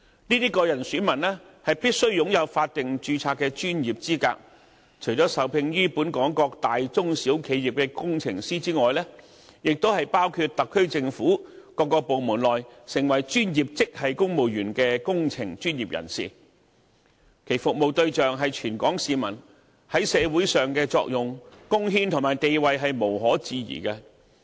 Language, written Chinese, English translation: Cantonese, 這些個人選民必須擁有法定註冊的專業資格，除了受聘於本港各大、中、小企業的工程師之外，還包括特區政府各部門內成為專業職系公務員的工程專業人士，其服務對象是全港市民，在社會上的作用、貢獻與地位無可置疑。, These individual electors must possess statutory registered professional qualification . They are hired either as engineers in big medium or small enterprises in Hong Kong or as engineering professionals among professional grade civil servants in various government departments in the Special Administrative Region to serve citizens throughout Hong Kong . Their function contribution and status in society are therefore unquestionable